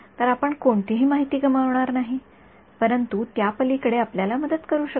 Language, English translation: Marathi, So, that you do not lose any information, but beyond that cannot help you right